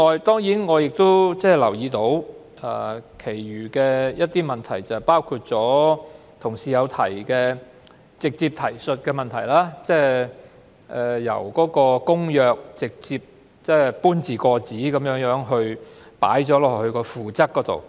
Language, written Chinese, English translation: Cantonese, 此外，我亦留意到一些其他問題，包括同事直接提述的問題，例如由《公約》直接搬字過紙加入附則。, In addition I have also noticed some other issues highlighted by some colleagues including the direct reference approach of incorporating the Convention into the Annex